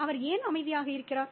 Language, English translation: Tamil, Why is he quiet